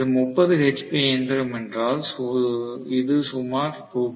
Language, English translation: Tamil, If it is 30 hp machine, it is roughly Rs